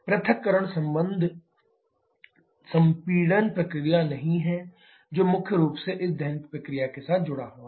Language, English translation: Hindi, The disassociation is not associated compression process, that is primarily associated with this combustion process